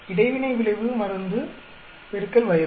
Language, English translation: Tamil, The interaction effect is drug into age